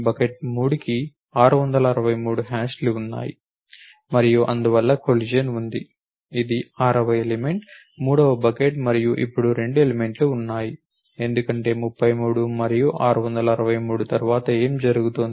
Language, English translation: Telugu, 663 hashes to bucket 3 and therefore, there is a collision therefore, this is the sixth element third bucket and now there are 2 elements, because 33 and 663 next what is happening